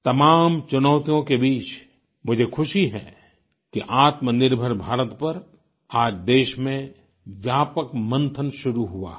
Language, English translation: Hindi, Amidst multiple challenges, it gives me joy to see extensive deliberation in the country on Aatmnirbhar Bharat, a selfreliant India